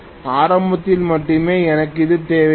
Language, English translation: Tamil, Initially only for starting I will need this